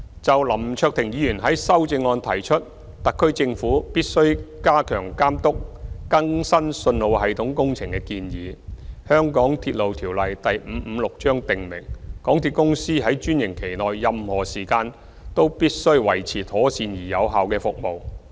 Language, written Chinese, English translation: Cantonese, 就林卓廷議員在修正案中提出特區政府必須加強監督更新信號系統工程的建議，《香港鐵路條例》訂明港鐵公司在專營期內任何時間均須維持妥善而有效率的服務。, Mr LAM Cheuk - ting suggests in his amendment that the SAR Government should step up its supervision of the works of updating the signalling system . The Mass Transit Railway Ordinance Cap . 556 stipulates that MTRCL shall maintain a proper and efficient service at all times during the franchise period